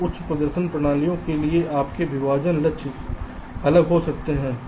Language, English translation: Hindi, so for high performance systems, your partitioning goals can be different